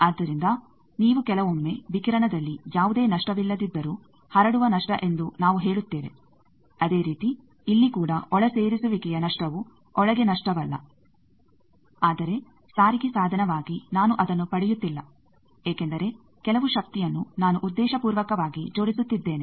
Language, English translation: Kannada, So, you see sometimes as in a radiation we say spreading loss, though there is nothing loss there, similarly here also insertion loss is not loss inside but as a transport device I am not getting that because some power I am deliberately coupling